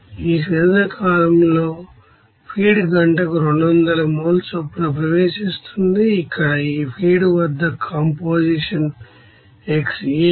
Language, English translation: Telugu, Where in this distillation column the feed will be entering at a rate of 200 mole per hour where composition at this feed as xA,F that will be close to 0